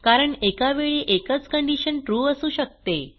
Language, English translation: Marathi, It is because only one condition can be true at a time